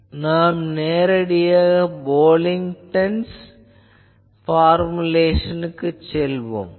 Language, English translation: Tamil, So, I can directly go to this Pocklington’s formulation that